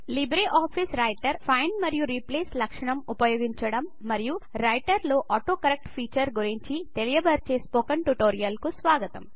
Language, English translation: Telugu, Welcome to the Spoken tutorial on LibreOffice Writer – Using Find and Replace feature and the AutoCorrect feature in Writer